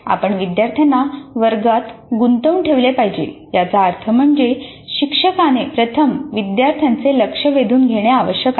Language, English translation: Marathi, We must make the learners engage with the classroom which essentially means that the instructor must first gain the attention of the students